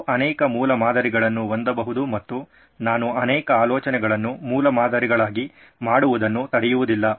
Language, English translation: Kannada, You can have multiple prototypes as well I am not stopping you from making multiple ideas into prototypes